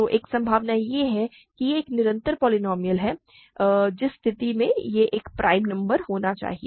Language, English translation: Hindi, So, one possibility is it is a constant polynomial in which case it must be a prime number